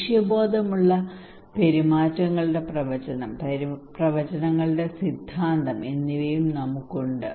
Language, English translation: Malayalam, Also we have prediction of goal directed behaviours, theory of predictions